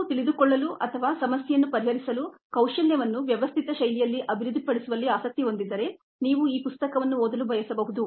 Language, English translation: Kannada, if you are interested in knowing ah or in developing the problem solving skill in a systematic fashion, you may want to look at this book